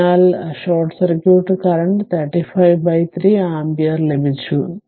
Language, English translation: Malayalam, So, short circuit current we got 35 by 3 ampere right